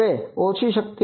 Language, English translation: Gujarati, Now low power